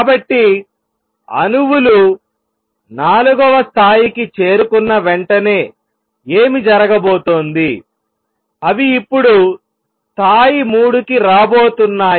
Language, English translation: Telugu, So, what is going to happen as soon as the atoms reach level 4, they going to come now the level 3